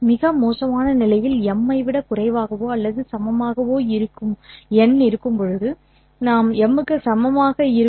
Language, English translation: Tamil, In the worst case, n will be equal to m